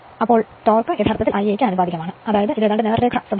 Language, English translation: Malayalam, Therefore, torque actually proportional to I a; that means, it is almost straight line characteristic right